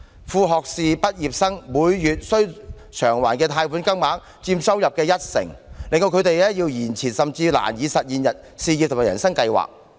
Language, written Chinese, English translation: Cantonese, 副學位畢業生每月須償還的貸款金額，佔收入約一成，令他們要延遲甚或難以實現事業和人生計劃。, As sub - degree graduates have to spare about 10 % of their monthly income for loan repayment they may have to delay or even drop their career plan or life plan